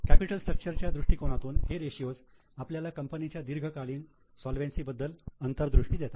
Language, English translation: Marathi, So, from the capital structure angle, these are the ratios which gives insight into long term solvency position of the company